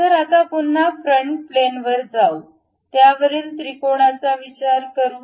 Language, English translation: Marathi, So, now again go to frontal plane, ok, on that let us consider a triangle